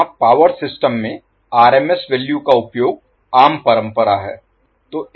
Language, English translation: Hindi, Now, here the common tradition in the power system is, is the use of RMS values